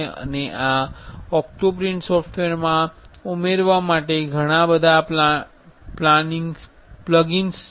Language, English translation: Gujarati, And in this OctoPrint software there are a lot of plugins to add